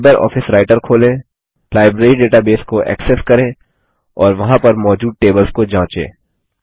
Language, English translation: Hindi, Open LibreOffice Writer, access the Library database and check the tables available there